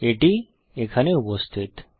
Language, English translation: Bengali, It is here